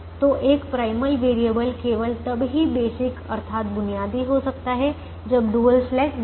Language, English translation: Hindi, so the a, a primal variable can be basic only when the dual slack is zero